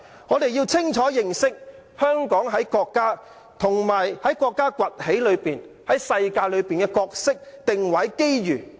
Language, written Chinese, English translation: Cantonese, 我們要清楚認識香港在國家，以至在國家在世界上崛起的過程中的角色、定位和機遇。, We must clearly understand the role positioning and opportunities of Hong Kong in the process of Chinas emergence in the world